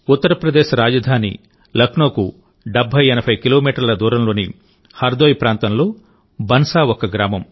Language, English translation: Telugu, Bansa is a village in Hardoi, 7080 kilometres away from Lucknow, the capital of UP